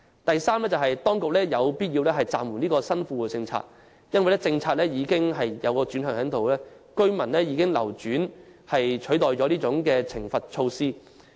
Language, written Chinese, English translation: Cantonese, 第三，當局有必要暫緩新富戶政策，因為政策已出現轉向，居民以流轉取代了懲罰措施。, Thirdly it is necessary for the Government to put on hold the new Well - off Tenants Policies because there is a change in policy direction